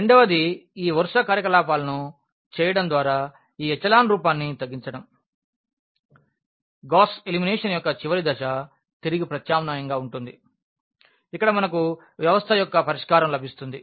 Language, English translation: Telugu, The second one is to do reducing to this echelon form by doing these row operations, the last step of the Gauss elimination is going to be back substitution where we will get the solution of the system